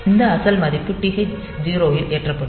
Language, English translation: Tamil, So, that is original value will be loaded into TH 0